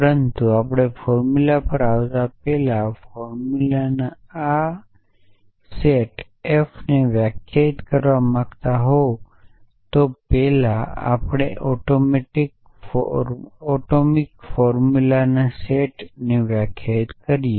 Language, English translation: Gujarati, But before we come to formulas so want to define this set F of formulas before that we define a set A of atomic formulas